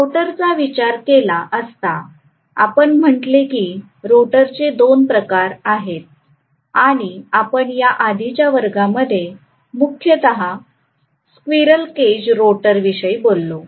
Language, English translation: Marathi, And as far as the rotor was concerned, we said there are two types of rotor we talked mainly about the squirrel cage rotor in the last class